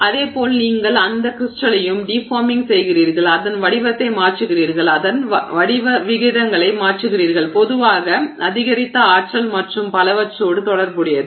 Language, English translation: Tamil, Similarly you are also deforming that crystal so you are you know changing its shape, you are changing its aspect ratio etc usually also associated with you know increased energy and so on